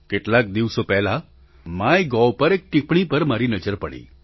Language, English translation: Gujarati, I happened to glance at a comment on the MyGov portal a few days ago